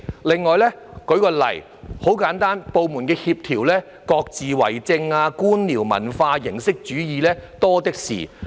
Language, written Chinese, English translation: Cantonese, 另外，很簡單，部門在協調方面各自為政，官僚文化、形式主義多的是。, In addition to put it simply the government departments lack coordination but abound with bureaucratic culture and formalism